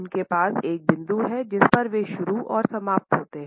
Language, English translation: Hindi, They have a point of beginning and a point at which they end